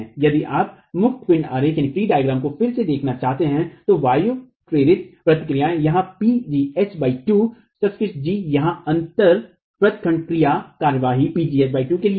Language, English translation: Hindi, If you were to look at the free body diagram again the wind induced reactions here, PG into H by 2, the subscript G is here for the gap touching action, PG into H